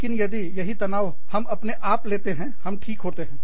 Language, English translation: Hindi, But, if we put the same stress on ourselves, then, we are okay